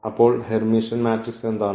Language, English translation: Malayalam, So, what is the Hermitian matrix